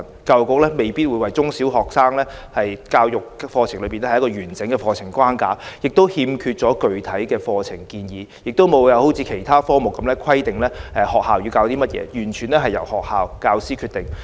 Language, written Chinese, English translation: Cantonese, 教育局並未為中、小學生的生命教育設計完整的課程框架，欠缺具體的課程建議，亦未有好像其他科目般規定學校要教授甚麼，完全由學校和教師決定。, The Education Bureau has not yet designed a complete curriculum framework or provided concrete curriculum proposals for life education in primary and secondary schools . It has also failed to specify the curriculum content of life education in the same manner as it does for other subjects but simply let schools and teachers decide what to teach